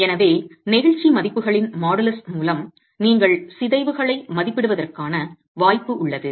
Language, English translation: Tamil, So, with the models of elasticity values, you have the possibility of estimating deformations